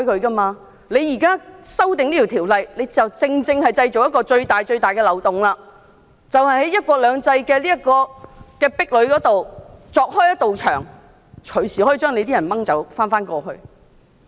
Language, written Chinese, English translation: Cantonese, 政府現時提出的修例建議，便正正製造一個最大的漏洞，在"一國兩制"的壁壘下鑿開一個洞，隨時令在港人士被帶往大陸。, The Government is actually creating the biggest loophole with its proposed legislative amendments digging a hole on the barricade of one country two systems for people in Hong Kong to be surrendered to the Mainland at any time